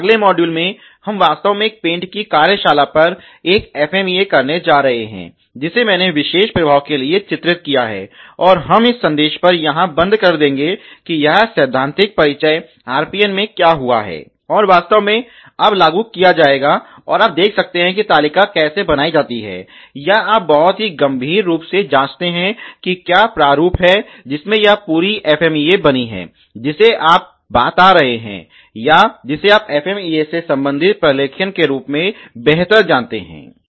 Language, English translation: Hindi, The next module we are actually going do an FMEA on a paint shop which i illustrated for particular effect which happens, and we will close on here by a take on message that this theoretical introduction what has be happened in the RPN would actually be implemented now, and you see how the table are made or you know very critically examine what is the format in which this whole FMEA made, which you are talking or which you better know as the documentation related to the FMEA